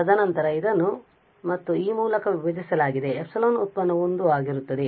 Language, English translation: Kannada, And then divided by this s and this epsilon derivative will be 1